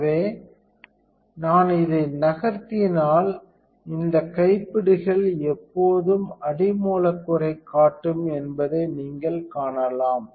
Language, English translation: Tamil, So, you can see that if I move this, there is always these knobs always show the substrate